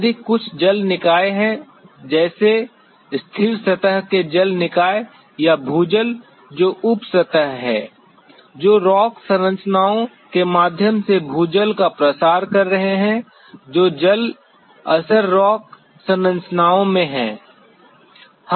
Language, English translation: Hindi, If there are some water bodies like stagnant surface water bodies or groundwater which is sub surface, which are circulating ground water through rock formations, which are water bearing rock formations